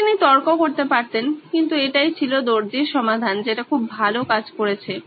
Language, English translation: Bengali, Yeah, he could argue but this was the tailor’s solution that worked very well